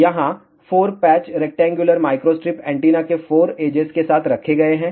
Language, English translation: Hindi, Here 4 patches are placed along the 4 edges of the rectangular microstrip antenna